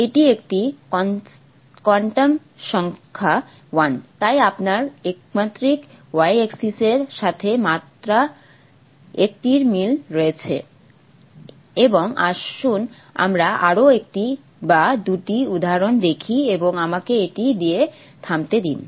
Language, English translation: Bengali, It's a quantum number one so you have only one similar to the one dimensional y axis and let's see one or two more examples and let me stop with that